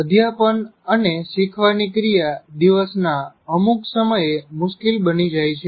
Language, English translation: Gujarati, Teaching and learning can be more difficult at certain times of the day